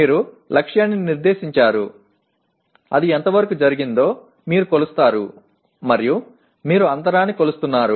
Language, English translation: Telugu, You set the target, you measure to what extent it has been done and then you are measuring the gap